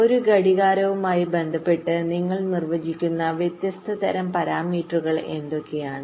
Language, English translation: Malayalam, what are the different kinds of parameters that you define with respect to a clock